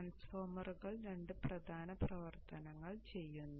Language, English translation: Malayalam, The transformers do two main functions